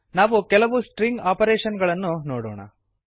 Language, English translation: Kannada, Let us look at a few string operations